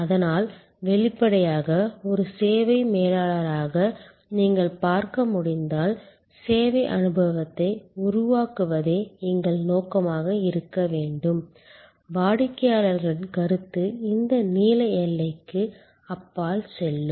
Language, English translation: Tamil, So; obviously, as you can see as a services manager our aim should be to create a service experience, were customers perception will go beyond this blue boundary